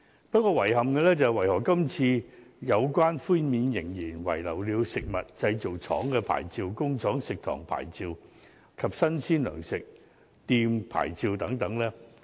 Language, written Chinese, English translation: Cantonese, 不過，遺憾的是，為何今次有關寬免仍然遺漏了食物製造廠牌照、工廠食堂牌照及新鮮糧食店牌照等呢？, Yet it is a pity that licence fees for food factories factory canteens and fresh provision shops are not included in the waivers